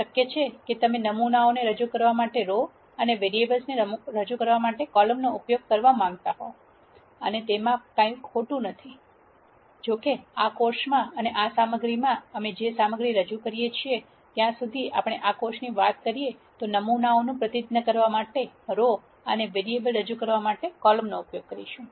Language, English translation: Gujarati, It is possible that you might want to use rows to represent variables and columns to represent samples and there is nothing wrong with that; however, in this course and all the material that we present in this course we will stick to using rows to represent samples and columns to represent variables as far as this course is concerned